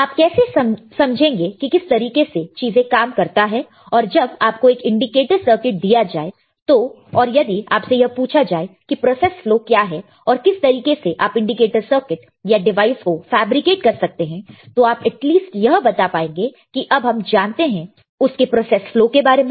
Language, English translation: Hindi, How you will know how the things works when you are given an indicator circuit and if you are asked that what are the process flow or how you can fabricate a indicator circuit or an indicator circuit or a device you will be able to at least tell that, now we know how the process flow works